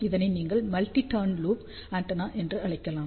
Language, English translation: Tamil, This is one of the application of the loop antenna